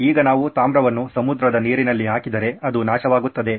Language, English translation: Kannada, Now if we put copper in seawater it becomes corroded